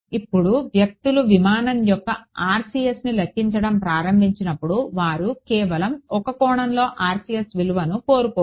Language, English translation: Telugu, Now when people start calculating the RCS of some aircraft they do not want the value of the RCS at one angle